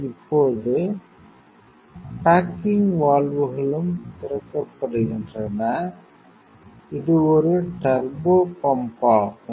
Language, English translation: Tamil, Now, baking also valves also open and this one is a turbopump